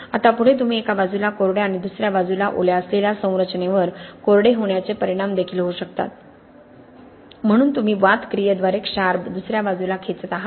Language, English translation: Marathi, Now further you can also have the effects of drying out on a structure that is dry on one side and wet on the other side, so you are pulling the salts to the other side by wick action, okay